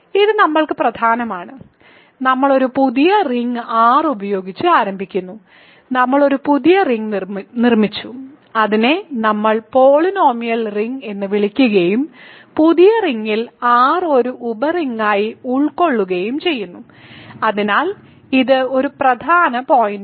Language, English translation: Malayalam, So, this is important for us, we have constructed a new ring starting with a ring R, we have constructed a new ring and we called it the polynomial ring and the new ring contains R as a sub ring, so this is an important point